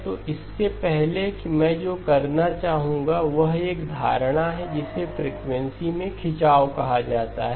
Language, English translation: Hindi, So before that what I would like to do is a notion of what is called stretching in frequency